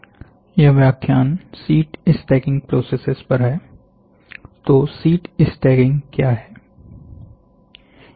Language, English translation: Hindi, The next lecture will be on Sheet Staking Processes